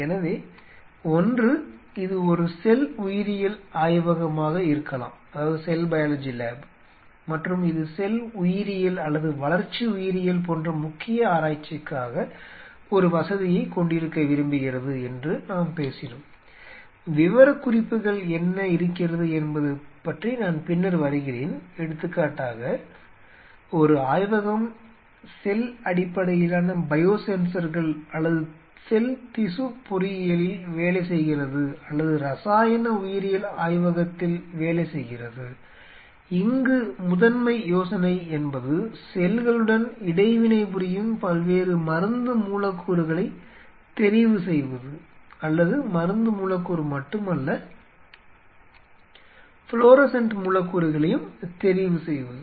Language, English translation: Tamil, So, one we talked about if it is a cell biology lab and it wants to have a facility whose major work are cell biology or in our development biology lab and I will come later, what are the specification, say for example, a lab working on cell based biosensors or a lab working on cell tissue engineering or chemical biology lab where, essentially the idea is the screening different drug molecules, the interaction with cells with cell or not only drug molecule different say fluorescent molecules